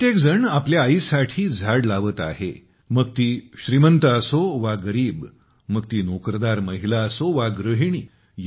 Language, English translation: Marathi, Everyone is planting trees for one’s mother – whether one is rich or poor, whether one is a working woman or a homemaker